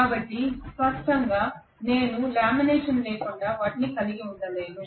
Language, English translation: Telugu, So obviously I cannot have them without lamination